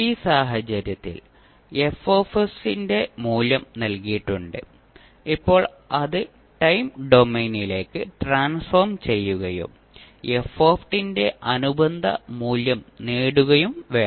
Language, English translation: Malayalam, In this case, we are given the value of F s and now we need to transform it back to the time domain and obtain the corresponding value of f t